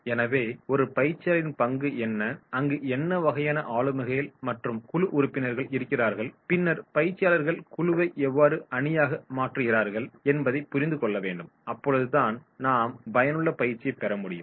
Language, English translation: Tamil, So role of a trainer he has to understand what type of personalities, what type of group members are there and then how to convert group of the trainees into the team and therefore we can have the effective training